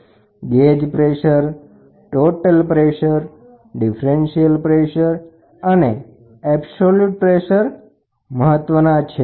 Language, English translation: Gujarati, One is gauge pressure, total pressure, differential pressure and absolute pressure